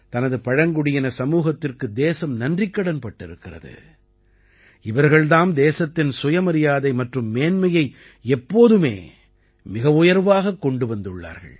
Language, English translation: Tamil, The country is grateful to its tribal society, which has always held the selfrespect and upliftment of the nation paramount